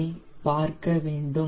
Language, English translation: Tamil, we need to watch